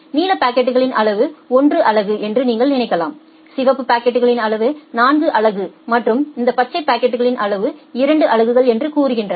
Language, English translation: Tamil, You can think of that the blue packets are of size 1 unit the red packets are of size 4 unit and this green packets are of size say 2 units